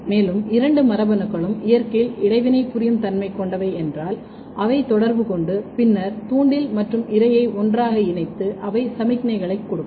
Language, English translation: Tamil, And if both the genes are basically interacting, they will interact and then the bait and prey they will come together and they will give some kind of signals